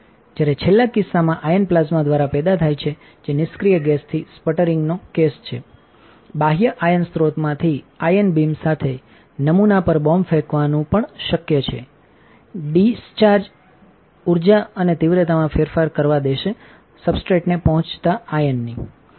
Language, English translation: Gujarati, While in the last case ions are generated by plasma, which is the sputtering case right with an with inert gas it is also possible to bombard the sample with an ion beam from external ion source, and this will allow to vary the energy and intensity of the ion reaching to the substrate